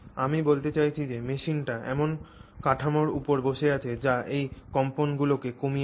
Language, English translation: Bengali, I mean, you have to ensure that the machine is sitting on a structure which damps those vibrations